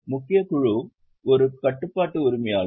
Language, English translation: Tamil, Major group is a controlling owner